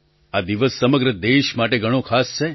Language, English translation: Gujarati, This day is special for the whole country